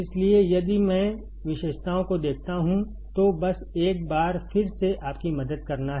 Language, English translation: Hindi, So, if I see the characteristics, it is just to help you out once again